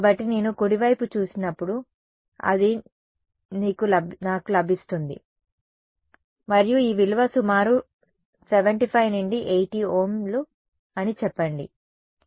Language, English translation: Telugu, So, this is what I get when I look at the right; and this value is roughly about 75 to 80 Ohms let say